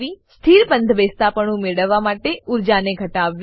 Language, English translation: Gujarati, * Minimize the energy to get a stable conformation